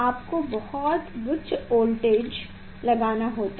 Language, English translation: Hindi, you have to apply very high voltage